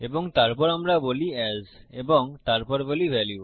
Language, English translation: Bengali, numbers And then we say as and then we say value